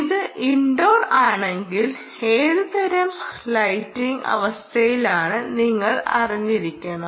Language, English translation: Malayalam, if it is Indoor, you should know what kind of lighting conditions exist Indoor